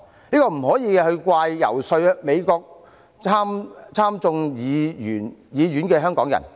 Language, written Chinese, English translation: Cantonese, 這不可以怪責遊說美國參眾兩院的香港人。, We should not blame the Hongkongers who lobbied the House of Representatives and the Senate of the United States